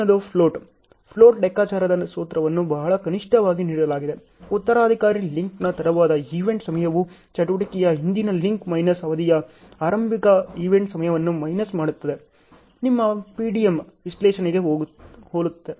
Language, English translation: Kannada, The next is float; float calculation formula is very clearly given, late event time of the successor link minus the early event time on the predecessor link minus duration of the activity; following similar to your PDM analysis